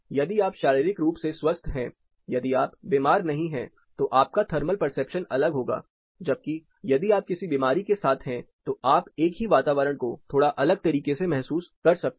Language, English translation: Hindi, If you are physically, if you are you know not sick then your thermal perception differs, whereas if you are with some element you may perceive the same environment slightly in a different manner